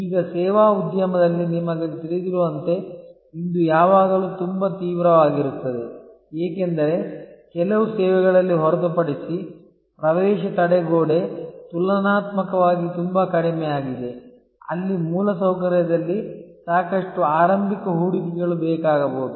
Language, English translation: Kannada, Now, this as you know in the services industry is always very intense, because in services as we know entry barrier is relatively much lower except in certain services, where there may be a lot of initial investment needed in infrastructure